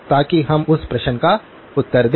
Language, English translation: Hindi, So that we will answer that question